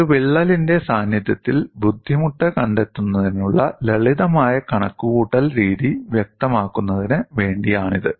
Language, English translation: Malayalam, This is just to illustrate a simple calculation methodology to find out strain energy in the presence of a crack